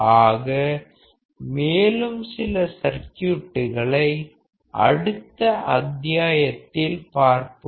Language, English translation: Tamil, So, we will see few other circuits in the next module